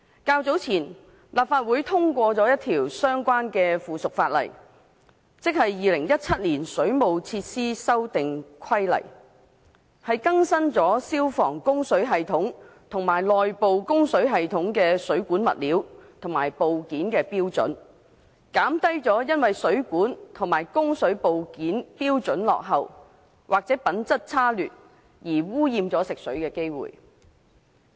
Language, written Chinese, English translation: Cantonese, 較早前，立法會通過了一項相關附屬法例，即《2017年水務設施規例》，更新了消防供水系統及內部供水系統的水管物料和部件的標準，減低因為水管和供水部件標準落後，或者品質差劣而污染食水的機會。, Earlier on the Legislative Council has passed the Waterworks Amendment Regulation 2017 a subsidiary legislation to update the standards for all plumbing materials and components to be used in works on fire services or inside services so as to reduce the possibility of polluting the water supply due to the outdated standards or the sub - standard plumbing materials and components